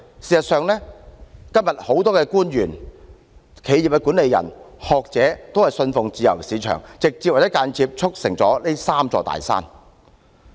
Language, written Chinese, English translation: Cantonese, 事實上，今天很多官員、企業管理人和學者均信奉自由市場，直接和間接地促成這"三座大山"。, In fact many officials the managements of enterprises and scholars nowadays believe in the free market and have directly or indirectly promoted the formation of these three big mountains